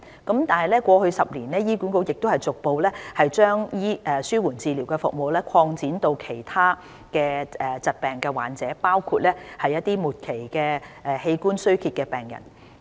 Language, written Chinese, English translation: Cantonese, 然而，過去10年，醫管局已逐步把紓緩治療服務擴展至其他疾病患者，包括末期器官衰竭的病人。, In the last decade palliative care services have been gradually extended to cover patients with other diseases such as patients suffering from end - stage organ failure